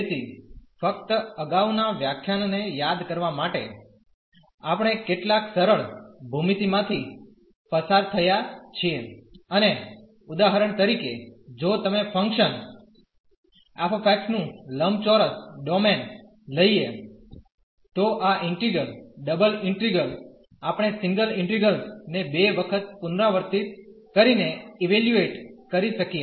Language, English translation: Gujarati, So, just to recall from the previous lecture, we have gone through some simple geometry and for example, if you take the rectangular domain of the function f x then this integral the double integral, we can evaluate by repeating the single integrals 2 time